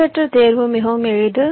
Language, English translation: Tamil, well, random selection is very sample